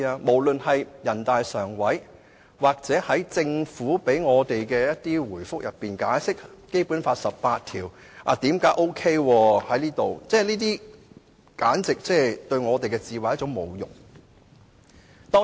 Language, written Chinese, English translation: Cantonese, 無論是人大常委會或政府就解釋為何《基本法》第十八條適用於香港而給我們的回覆，都像是侮辱我們的智慧似的。, It appears that the reply given to us by NPCSC or the Government explaining why Article 18 of the Basic Law is applicable to Hong Kong is an insult to our intelligence